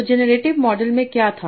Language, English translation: Hindi, So what is the generative model